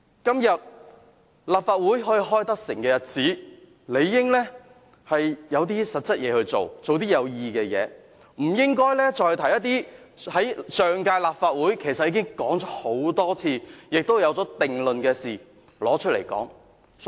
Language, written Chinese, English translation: Cantonese, 今天立法會成功舉行會議，理應做一些實際的事，做些有意義的事，不應該再提出一些在上屆立法會已多次討論、且已有定論的議題來辯論。, As a meeting of this Council can be smoothly held today we should try to do some practical and meaningful things instead of debating on an issue which has already been repeatedly discussed in the last term of this Council and for which a final conclusion has already been reached